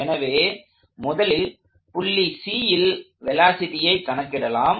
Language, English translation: Tamil, So, let us first find the velocity of C